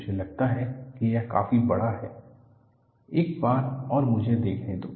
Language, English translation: Hindi, I think it is reasonably big enough; let me see, one more